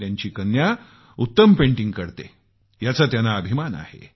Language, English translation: Marathi, She is proud of her daughter's excellent painting ability